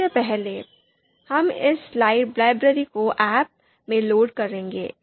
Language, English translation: Hindi, So first, we will load this library ahp